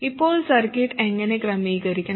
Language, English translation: Malayalam, Now, how should the circuit be configured